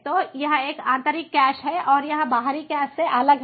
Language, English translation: Hindi, so this is these internal cache and this is how it differs from the external cache